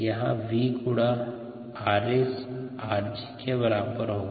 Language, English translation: Hindi, then r x into v would be equal to r g